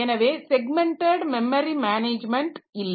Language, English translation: Tamil, So, that is no more a segmented memory management